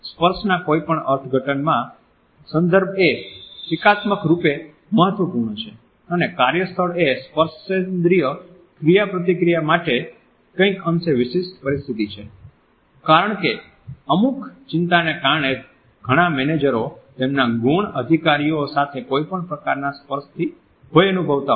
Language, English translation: Gujarati, In any interpretation of touch context is critically important and the workplace is a somewhat unique setting for tactile interaction, because of harassment concerns which have caused many managers to fear any type of touch with their subordinates